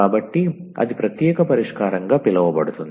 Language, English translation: Telugu, So, that will be called as the particular solution